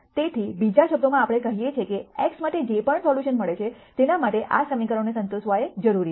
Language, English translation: Gujarati, So, in other words what we are saying is whatever solution we get for x that has to necessarily satisfy this equation